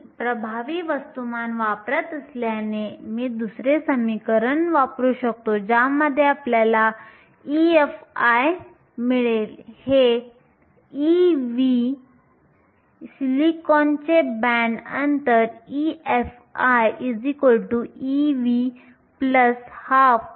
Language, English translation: Marathi, Since I am using the effective mass, I will use the second equation from which you get e f i, this e v, the band gap of silicon is 1